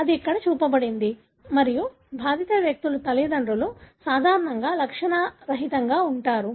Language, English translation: Telugu, So, that’s what is shown here and parents of the affected people are usually asymptomatic